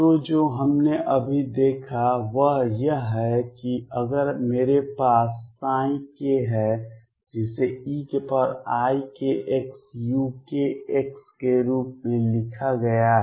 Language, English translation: Hindi, So, what we just seen is that if I have a psi k which is written as e raise to i k x u k x